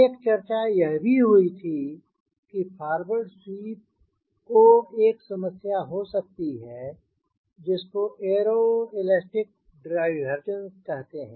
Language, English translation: Hindi, then there was a debates that for a former make for a face a problem of they call it aero elastic diverges